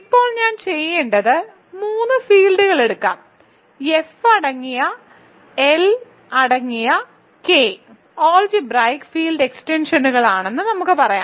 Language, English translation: Malayalam, So, what I want to do now is let us take three fields let us say K containing L containing F are algebraic field extensions